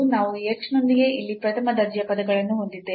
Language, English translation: Kannada, So, we have the first order terms here with this h